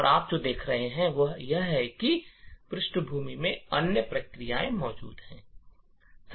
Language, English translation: Hindi, And also, what you see is that there are other processes present in the background